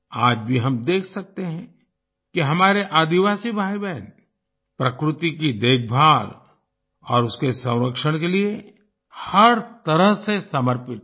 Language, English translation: Hindi, Even today we can say that our tribal brothers and sisters are dedicated in every way to the care and conservation of nature